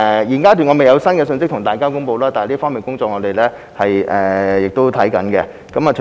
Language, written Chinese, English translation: Cantonese, 現階段我未有新的信息可以向大家公布，但我們正在進行檢視。, At this stage there is no new information that I can provide to Members but we are looking into it